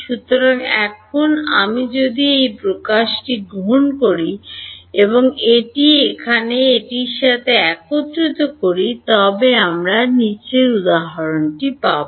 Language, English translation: Bengali, So, now, if I take this expression and combine it with this over here, what do I get